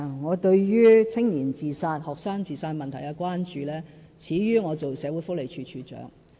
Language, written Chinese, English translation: Cantonese, 我對於年青人自殺、學生自殺問題的關注，始於我任職社會福利署署長。, My concern about youth and student suicide can be dated back to the time when I was the Director of Social Welfare